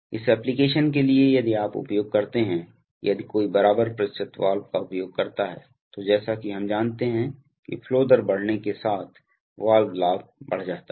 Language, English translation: Hindi, So for this application if you use, if one uses an equal percentage valve, then as we know that the valve gain goes up as the flow rate goes up